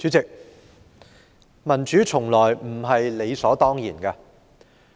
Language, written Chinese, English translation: Cantonese, 主席，民主從來不是理所當然的。, President democracy is never a matter of course